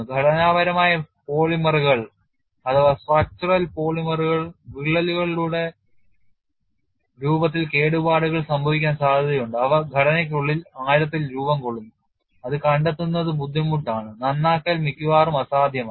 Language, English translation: Malayalam, Structural polymers are susceptible to damage in the form of cracks, which form deep within the structure where detection is difficult and repair is almost impossible